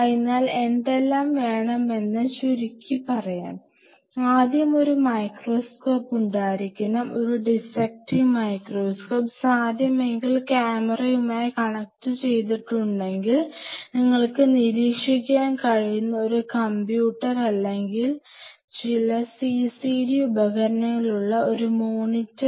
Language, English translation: Malayalam, So, let us summarize what all you need to have you need to have a microscope first a dissecting microscope of course, if possible connected to the camera and a viewer with a computer or some CCD device, where you can monitor